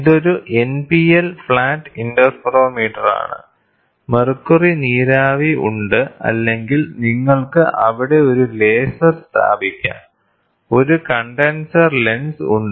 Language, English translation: Malayalam, So, you have this is an NPL flat interferometer, mercury vapour is there or you can put a laser there, a condenser lens is there